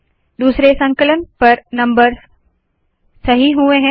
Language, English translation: Hindi, On second compilation the numbers become correct